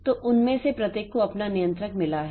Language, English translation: Hindi, So, each of them has got its own controller